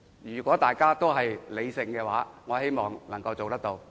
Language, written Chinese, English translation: Cantonese, 如果大家都作理性討論，我希望能夠達成共識。, If we can come together for rational discussions I hope we can reach a consensus